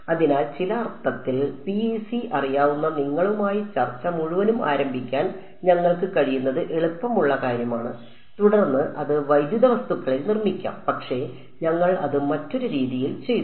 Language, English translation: Malayalam, So, in some sense it is the easier thing we could have started the whole discussion with you know PEC and then built it to dielectric objects, but we have done in that other way